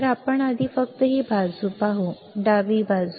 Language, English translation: Marathi, So, let us just see this side first; , left side first